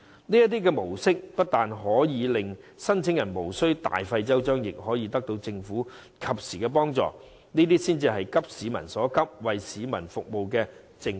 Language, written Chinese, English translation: Cantonese, 這種模式不單可令申領人無須大費周章，亦可獲得政府及時的幫助，這才是急市民所急、為市民服務的政府。, This approach will enable applicants to receive timely assistance from the Government without going through all the cumbersome red tape . If the Government appreciates the urgent needs of the public and hopes to serve them it should do so